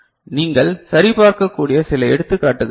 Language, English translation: Tamil, These are the some examples that you can see ok